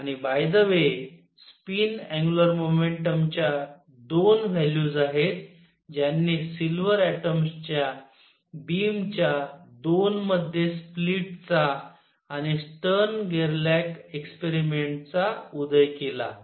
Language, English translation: Marathi, And by the way this 2 values of spin angular momentum are what gave rise to the split of the beam of silver atoms and Stern Gerlach experiments into 2